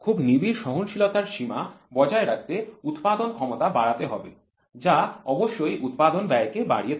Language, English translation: Bengali, In order to maintain very close tolerance limit manufacturing capability has to be enhanced which certainly increases the manufacturing cost